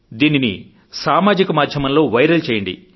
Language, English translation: Telugu, Share it with people, make it viral on social media